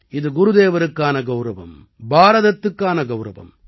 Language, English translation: Tamil, This is an honour for Gurudev; an honour for India